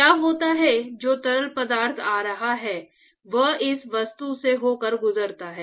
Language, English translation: Hindi, So, what happens is that the fluid which is coming pass this object